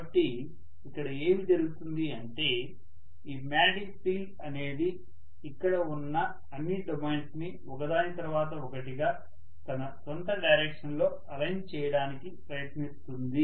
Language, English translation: Telugu, So what is going to happen is, this magnetic field will try to align all these domains one by one along its own direction